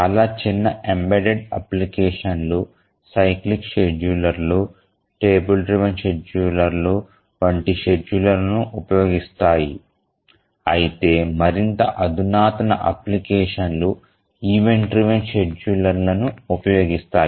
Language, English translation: Telugu, Many small embedded applications use schedulers like cyclic schedulers or table driven schedulers but more sophisticated applications use event driven schedulers